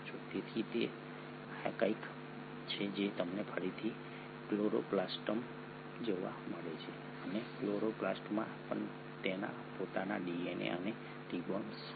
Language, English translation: Gujarati, So this is something which you again find in chloroplast and chloroplast also has its own DNA and ribosomes